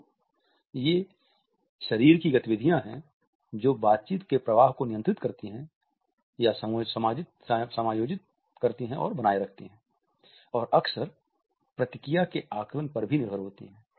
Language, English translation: Hindi, So, these are the body movements which control, adjust, and sustain the flow of a conversation and are frequently relied on to assess the feedback